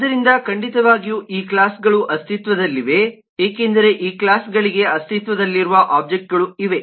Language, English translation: Kannada, so certainly these classes exists because there are objects that will exists for these classes